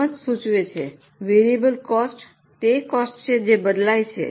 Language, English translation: Gujarati, As the name suggests, variable costs are those costs which change or vary